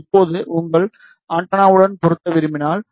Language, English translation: Tamil, Now, if you want to match your antenna